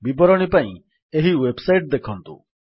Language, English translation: Odia, For details, please visit this website